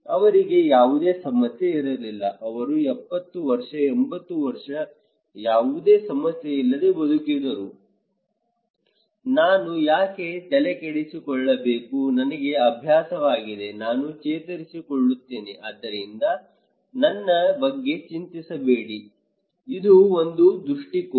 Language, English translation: Kannada, They did not have any problem, they lived 70 years, 80 years without any much issue, why should I bother, I am used to it, I become resilient so, do not worry about me, oh, this is one perspective